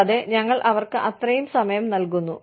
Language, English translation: Malayalam, And, we give them, that much time